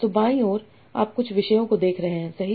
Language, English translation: Hindi, So on the left you are seeing some topics, right